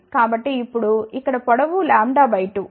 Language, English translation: Telugu, So, the length over here now is lambda by 2